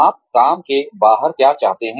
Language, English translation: Hindi, What do you want outside of work